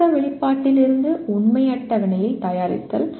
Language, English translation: Tamil, Preparing a truth table from logic expression